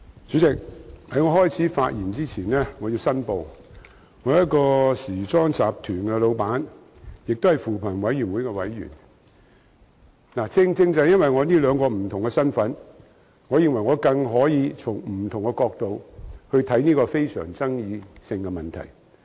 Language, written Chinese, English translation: Cantonese, 主席，我在開始發言前要申報，我是一個時裝集團的老闆，也是扶貧委員會的委員，正正因為我這兩個不同的身份，我認為我更能夠從不同角度看待這個非常富爭議性的問題。, President before I begin my speech I have to declare that I am the proprietor of a fashion group as well as a member of the Commission on Poverty . It is precisely because I am wearing these two different hats that I consider myself all the more capable of viewing this highly controversial issue from different angles